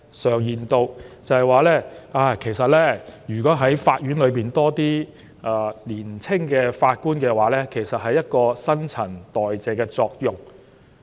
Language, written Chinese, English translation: Cantonese, 常言道，如果法院能有更多年輕法官，將可產生新陳代謝的作用。, People often say that if there are more young judges it will promote the transition from old to new